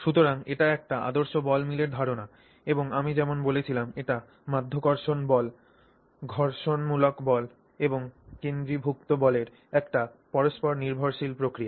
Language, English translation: Bengali, So, this is the idea of a typical ball mill and like I said it's an interplay of gravity and friction forces and also in fact the centrifugal force